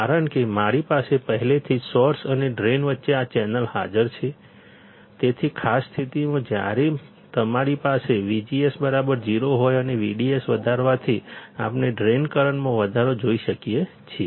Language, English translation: Gujarati, Because I already have this channel present between source and drain; so, in particular condition when you have V G S equals to 0, when you have V G S equals to 0 and on increasing V D S, we can see increase in drain current